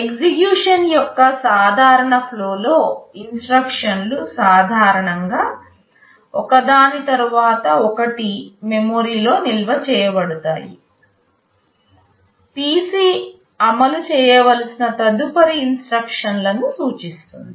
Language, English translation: Telugu, In the normal flow of execution; the instructions are normally stored one after the other in memory, PC points to the next instruction to be executed